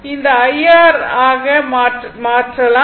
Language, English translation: Tamil, So, V R is equal to I R